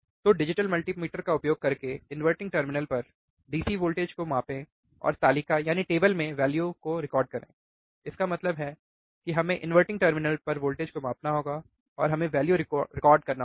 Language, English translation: Hindi, So, what is that use a digital multimeter measure the DC voltage at inverting terminal and record the values in the table; that means, that we have to measure the voltage at inverting terminal, and we have to record the value